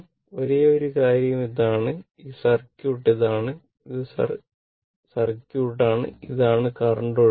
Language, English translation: Malayalam, And only thing is that, this is the circuit and this is the circuit, this is the current flowing right